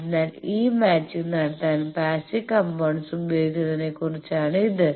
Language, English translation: Malayalam, So, this is about passive using passive components to do this matching